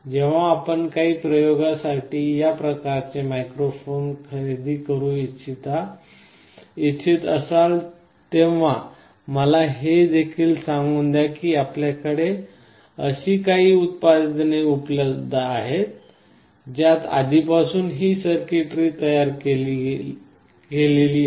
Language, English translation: Marathi, Let me also tell you when you want to buy a microphone of this type for some experiments, you will find that there are some products available that already have this circuitry built into it